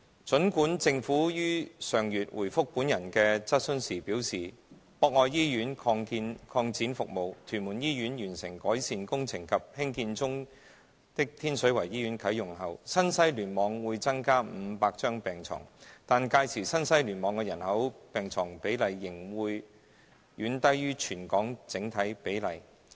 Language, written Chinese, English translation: Cantonese, 儘管政府於上月回覆本人的質詢時表示，博愛醫院擴展服務、屯門醫院完成改善工程及興建中的天水圍醫院啟用後，新西聯網會增加500張病床，但屆時新西聯網的人口病床比例仍會遠低於全港整體比例。, Although the Government indicated in reply to my question last month that there would be 500 additional beds in the NTW Cluster upon the service expansion of Pok Oi Hospital the completion of the improvement works of TMH and the commissioning of Tin Shui Wai Hospital which is under construction the population - to - bed ratio of the NTW Cluster by that time will still be far lower than the territory - wide overall ratio